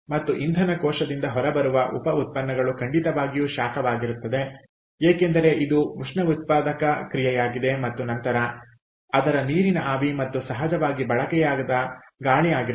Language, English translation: Kannada, and what comes out off of the fuel cell, apart from electricity that is generated, the byproducts is heat, definitely, because its an exothermic reaction, and then its water vapour, ok, and of course unused air, clear